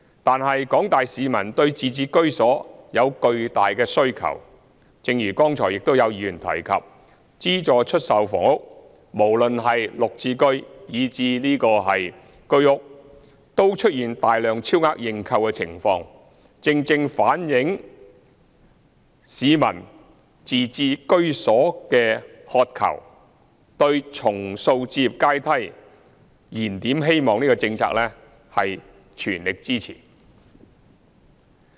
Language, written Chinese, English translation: Cantonese, 但是，廣大市民對自置居所有巨大的需求，正如剛才亦有議員提及，資助出售房屋無論是綠表置居計劃單位，以至居者有其屋計劃單位，均出現大量超額認購的情況，正正反映市民對自置居所的渴求，對重塑置業階梯、燃點希望這項政策的全力支持。, However members of the public have great demand for home ownership . As indicated by some Members just now heavy over - subscriptions have been recorded for subsidized sale flats including Green Form Subsidized Home Ownership Scheme flats and Home Ownership Scheme HOS flats . This exactly reflects peoples aspirations for home ownership and their full support for the policy of rebuilding the housing ladder and igniting hope